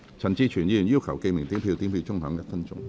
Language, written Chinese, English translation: Cantonese, 陳志全議員要求點名表決。, Mr CHAN Chi - chuen has claimed a division